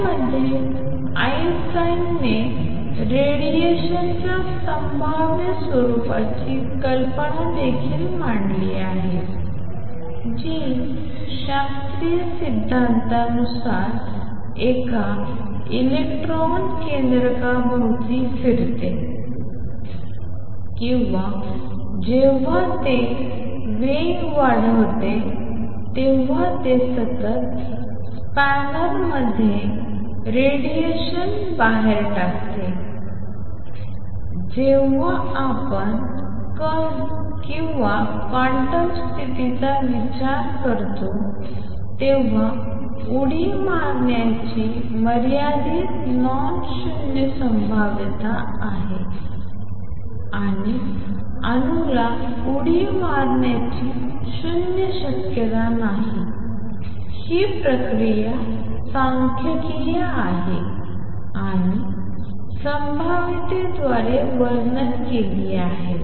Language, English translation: Marathi, In this Einstein also introduce the idea of probabilistic nature of radiation that is in classical theory electron revolves around a nucleus or whenever it accelerates it just gives out radiation in a continuous spanner, when we consider the particle or quantum nature and electron in an upper state has a finite nonzero probability of making a jump or the atom has a non zero probability of making a jump this process is statistical and described by probability